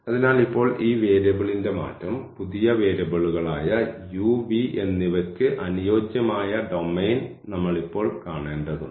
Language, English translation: Malayalam, So, now this change of variable; we have to see now the domain the new domain here corresponding to the new variables u and v